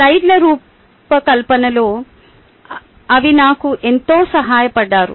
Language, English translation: Telugu, they ah helped me immensely in designing the slides